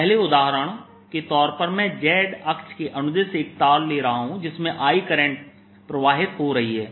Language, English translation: Hindi, as example one, i am going to take current i going in a wire along the z axis